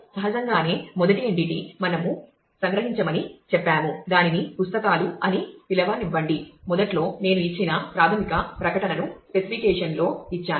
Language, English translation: Telugu, Naturally, the first entity said that we extract we let us call it books which is about books where in the beginning I have given the basic statement that is given in the so, in the specification